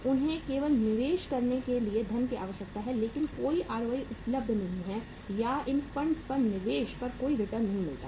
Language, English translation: Hindi, They only need funds to be invested but there is no ROI available or there is no investment return on investment on these funds is available